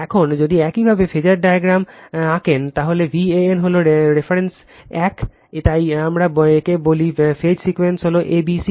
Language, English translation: Bengali, Now, if you draw the phasor diagram, then V a n is the reference one, so we call this is the phase sequence is a b c